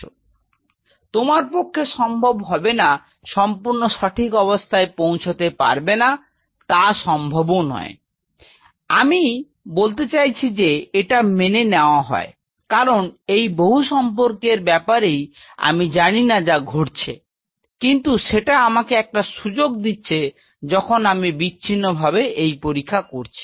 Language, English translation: Bengali, So, in you may not be able to achieve the exact perfection it is not possible I mean its accepted, because I do not know these many interactions which is happening, but this give me an opportunity when I am going this in isolation